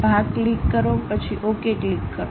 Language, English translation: Gujarati, Click Part, then click Ok